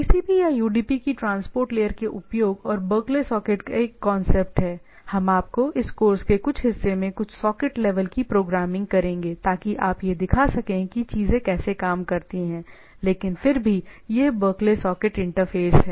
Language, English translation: Hindi, At the transport layer use of TCP or UDP and there is a concept of Berkeley socket, we will do some socket level programming at some part of this course show you that how things works, but nevertheless there is a Berkeley socket interface